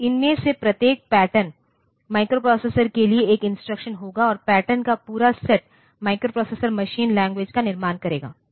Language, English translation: Hindi, So, each of these patterns will be an instruction for the microprocessor and the complete set of patterns will make up the microprocessors machine language